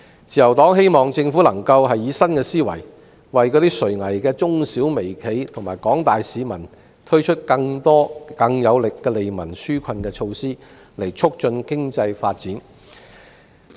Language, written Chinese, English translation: Cantonese, 自由黨希望政府能夠以新思維，為垂危的中小微企和廣大市民推出更多更有力的利民紓困措施，以促進經濟發展。, The Liberal Party hopes that the Government will think out of the box and provide more effective relief measures for MSMEs which are barely surviving and the general public to stimulate economic growth